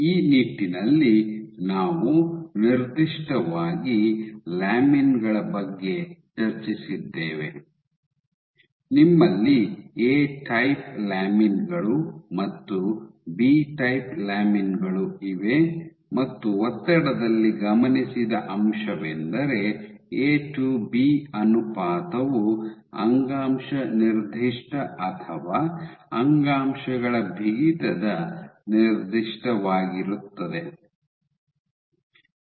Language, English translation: Kannada, So, in this regard a specifically discussed about lamins, you have A type lamins and B type lamins and what has been observed in the pressure is that A to B ratio is tissue specific or tissue stiffness specific